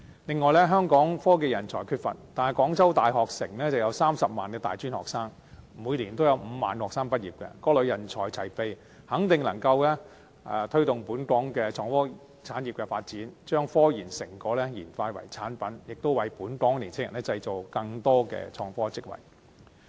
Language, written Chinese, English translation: Cantonese, 此外，香港科技人才缺乏，但廣州大學城有30萬的大專學生，每年有5萬名學生畢業，各類人才齊備，肯定能夠推動本港的創科產業的發展，將科研成果轉化成產品，並為本港年青人製造更多的創科職位。, We know that Hong Kong faces a shortage of technological talents . But over there in Guangzhou University Town there are 300 000 tertiary students and every year 50 000 students will graduate . These are people with expertise in all sorts of professional disciplines and they can definitely boost the development of the IT industry in Hong Kong enabling it to turn scientific research results into commercial products and create more IT job for young people in Hong Kong